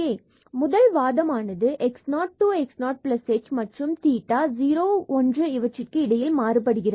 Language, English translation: Tamil, So, this first argument will vary from x 0 to x 0 plus h when theta varies from 0 to 1